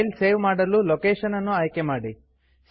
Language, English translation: Kannada, Choose the location to save the file